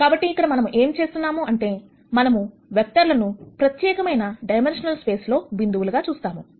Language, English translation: Telugu, So, what we are doing here is, we are looking at vectors as points in a particular dimensional space